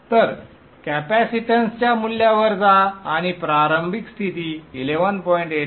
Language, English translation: Marathi, So go to the value of the capacitance and give initial condition equals 11